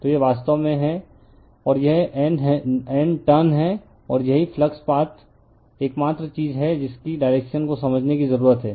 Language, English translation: Hindi, So, this is actually I, and this is N turns, and this is the only thing need to understand the direction of the flux path